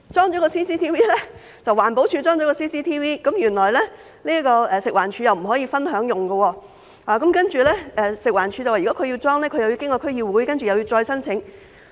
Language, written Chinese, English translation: Cantonese, 不過，環境保護署安裝了 CCTV 後，原來食物環境衞生署卻不可以分享使用，而食環署表示，如果他們要安裝，則須經區議會，又要再申請。, However after the CCTV was installed by the Environmental Protection Department EPD the Food and Environmental Hygiene Department FEHD was not allowed to share its use . FEHD said that if they were to install CCTV they would have to submit another application through the District Council